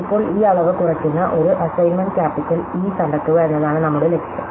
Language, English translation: Malayalam, So, now, our goal is to find an assignment capital E which minimizes this quantity